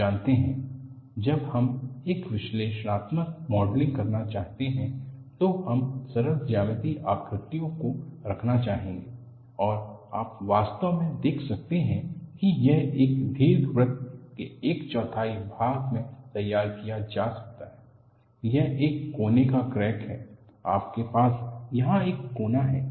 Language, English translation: Hindi, You know, when we want to do a analytical modeling, we would like to have simple geometric shapes and you can really see that, this could be modeled as quarter of an ellipse; it is a corner crack, you have a corner here